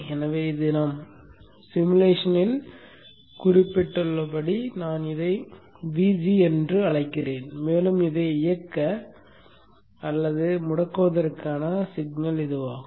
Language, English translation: Tamil, So therefore I am calling this one as VG as we had indicated in the simulation and this is the signal to drive this on or off